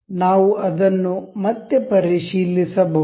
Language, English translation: Kannada, We can check it again